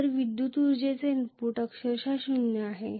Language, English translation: Marathi, So the electrical energy input is literally zero